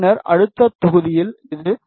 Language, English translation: Tamil, And then for the next block it is 0